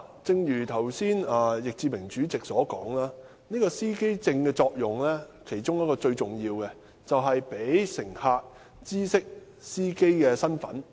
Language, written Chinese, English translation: Cantonese, 正如易志明議員剛才所說，司機證其中一個重要作用，就是讓乘客知悉司機的身份。, As Mr Frankie YICK said just now one of the important purposes of driver identity plates is to enable passengers to identify drivers